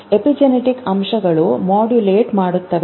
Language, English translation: Kannada, But epigenetic factors modulated